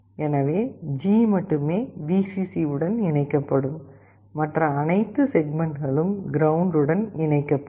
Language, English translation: Tamil, So, only G will be connected to Vcc and all other segments will be connected to ground